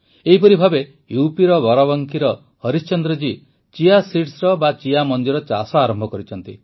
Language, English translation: Odia, Similarly, Harishchandra ji of Barabanki in UP has begun farming of Chia seeds